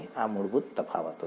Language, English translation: Gujarati, This is the basic difference